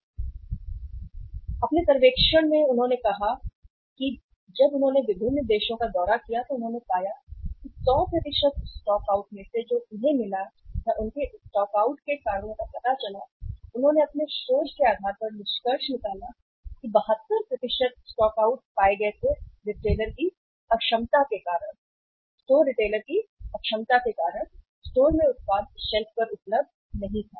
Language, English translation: Hindi, They have said that on their in their survey when they uh visited different countries they found that out of 100% stockouts they find or the reasons for the stockouts they found, they concluded on the basis of their research that 72% of the stockouts were found on the store because of the inefficiency of the retailer, because of the inefficiency of the retailer the product was not available on the shelf in the store